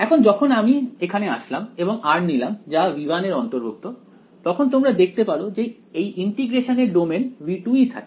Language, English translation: Bengali, Now when I come to here and I choose r belonging to v 1 then you see this the domain of integration remains v 2 over here